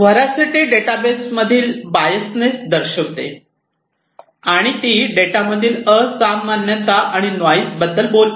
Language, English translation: Marathi, Veracity indicates the biasness in the data and it talks about the unusualness and noise in the data